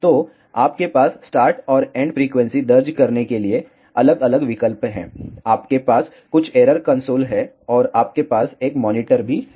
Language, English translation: Hindi, So, you have different options to enter the start and end frequency ya some error console and you have a monitor as well